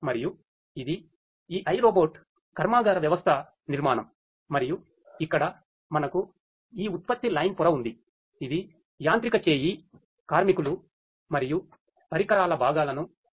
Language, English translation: Telugu, And this is this iRobot factory system architecture and here as we can see we have this production line layer which has the mechanical arm workers and equipment components